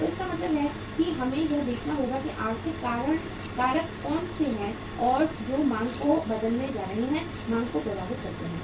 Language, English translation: Hindi, So it means we will have to see that what are the economic factors which are going to change the demand, impact the demand